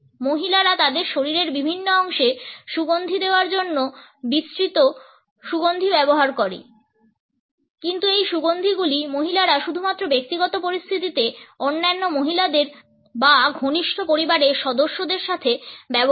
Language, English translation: Bengali, Women use a wide range of scents to perfume different parts of their bodies, but these perfumes are used by women only in private situations in the company of other women or close family members